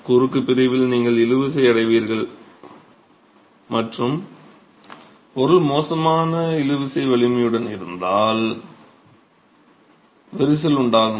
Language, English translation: Tamil, You will get tension in the cross section and if the material is of poor tensile strength then you will get cracking